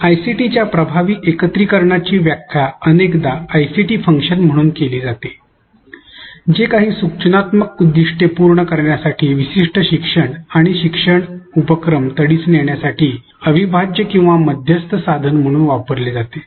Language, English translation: Marathi, Effective integration of ICT is often interpreted as ICT function as an integral or a mediated tool to accomplish specific teaching and learning our activities to meet certain instructional objectives